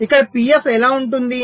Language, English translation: Telugu, so what will be pf here